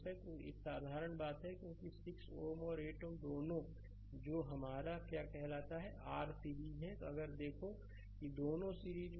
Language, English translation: Hindi, So, this is a simple thing right because 6 ohm and 8 ohm both are in your what you call your series, if you look into that both are in series